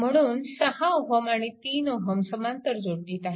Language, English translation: Marathi, So, this 6 ohm will be in parallel right